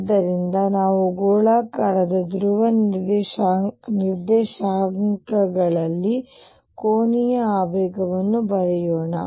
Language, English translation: Kannada, So, let us also write angular momentum in spherical polar coordinates